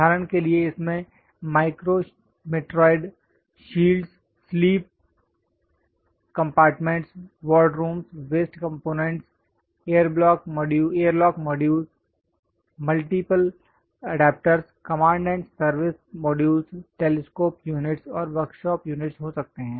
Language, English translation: Hindi, For example, it might be containing micro meteoroid shields, sleep compartments, ward rooms, waste compartments, airlock modules, multiple adapters, command and service modules, telescope units and workshop units